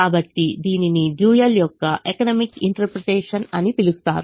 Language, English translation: Telugu, so this is called economic interpretation of the dual